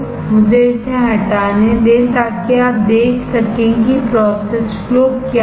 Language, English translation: Hindi, Let me remove it so that you can see what are the process flows